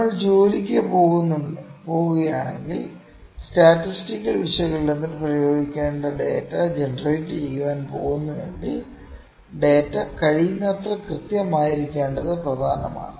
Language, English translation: Malayalam, So, if we are going to work if we are going to generate data on which we have to apply statistical analysis, it is important that the data is as accurate as possible